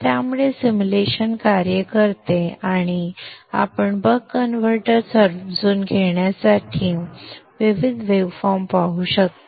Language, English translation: Marathi, So the simulation works and you can see the various waveforms to understand the Buck converter circuit